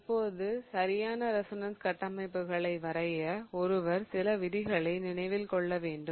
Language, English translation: Tamil, Now, in order to draw correct resonance structures, one must remember a few rules